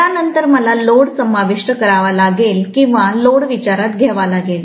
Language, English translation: Marathi, After that I have to include the load or take the load into account